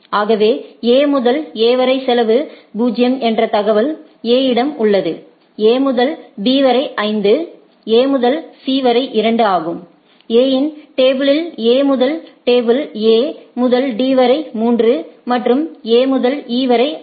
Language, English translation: Tamil, So, A have the knowledge that from A to A the cost is 0, A to B is 5, A to C is 2, A this is the first table is the A’s table right, A to D is 3 and A to E is 6